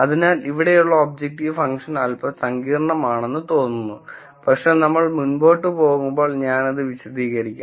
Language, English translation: Malayalam, So, here is an objective function looks little complicated, but I will explain this as we go along